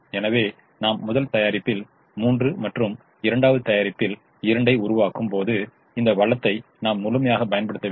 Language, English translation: Tamil, so when i am making three of the first product and two of the second product, i have not utilized this resource fully